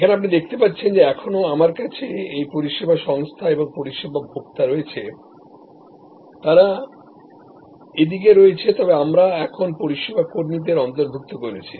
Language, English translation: Bengali, Here, as you see you still have this service organization and service consumer, they are on this side, but we have now included service employees